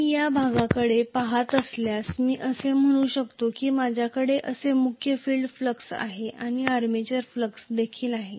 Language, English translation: Marathi, Whereas if I look at this portion, if I am looking at this portion I can say I am having the main field flux like this and the armature flux is also like this